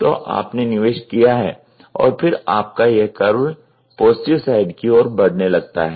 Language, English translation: Hindi, So, you have invested and then you the curve moves towards the positive side